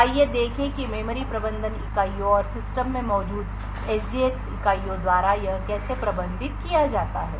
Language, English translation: Hindi, So, let us see how this is managed by the memory management units and the SGX units present in the system